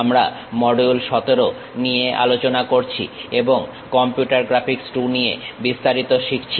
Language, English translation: Bengali, We are covering module 17 and learning about Overview of Computer Graphics II